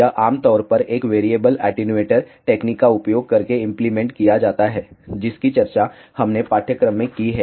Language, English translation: Hindi, This is typically implemented using a variable attenuator technique, which we have discussed in the course